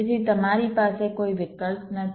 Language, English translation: Gujarati, so you do not have any choice